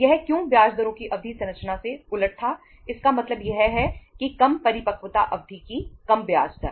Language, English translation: Hindi, Why it was reverse of the term structure of interest rates means lesser longer the maturity period lesser is the interest cost